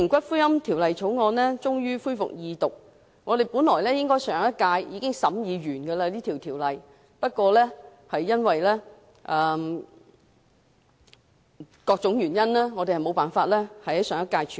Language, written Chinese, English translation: Cantonese, 今天終於恢復二讀的《條例草案》，本應在上屆立法會會期內已完成審議工作，但由於各種原因無法在上屆處理。, The Second Reading of the Bill finally resumed today . The scrutiny of the Bill should have been completed in the previous term of the Legislative Council but the work was aborted due to various reasons